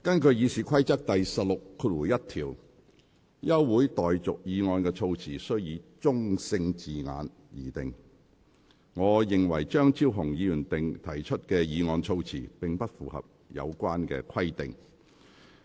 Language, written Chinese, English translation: Cantonese, 根據《議事規則》第161條，休會待續議案的措辭須以中性字眼擬定。我認為張超雄議員提出的議案措辭，並不符合有關規定。, Under RoP 161 the wording of a motion for adjournment shall be couched in neutral terms and I consider that the wording of Dr Fernando CHEUNGs motion fails to comply with this requirement